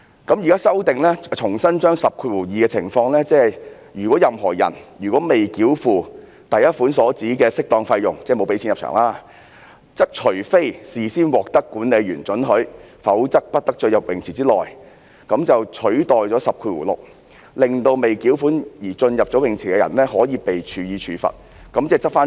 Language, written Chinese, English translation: Cantonese, 現時作出修訂，重新把第102條的情況，即如果有任何人未繳付第1款所指的適當費用——即是沒有繳付入場費——則除非事先獲得管理員准許，否則不得進入泳池場地範圍內，就是以此取代了第106條，令未繳款而進入泳池的人會被處罰，嚴正執法。, The provision is now amended such that section 106 is substituted with section 102 which provides that except with the prior permission of an attendant no person shall enter the precincts of a swimming pool without first having paid the appropriate fee under subsection 1 . The law will then be strictly enforced